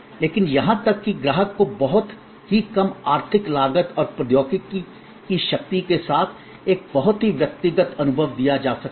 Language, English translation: Hindi, But, even that customer can be given a very personalized experience with the power of technology at a very economic cost